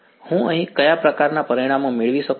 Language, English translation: Gujarati, So, what kind of results do I get over here